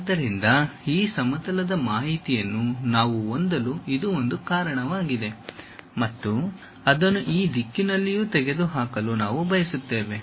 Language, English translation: Kannada, So, that is a reason we have this plane information which goes and we want to remove it in this direction also